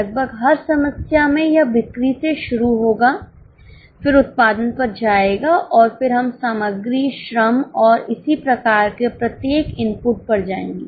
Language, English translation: Hindi, In almost every problem it will start from sales then go to production and then we will go to each of the inputs like material, labour and so on